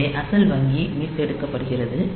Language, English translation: Tamil, So, that the original bank gets restored